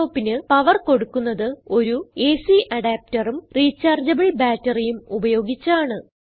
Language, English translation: Malayalam, A laptop is powered by electricity via an AC adapter and has a rechargeable battery